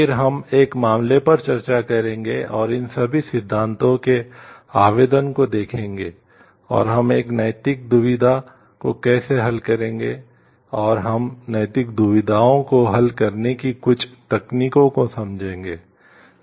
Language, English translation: Hindi, Then we will discuss a case and see the application of all these theories in how we solve a moral dilemma, and we will get to understand some techniques of solving ethical dilemmas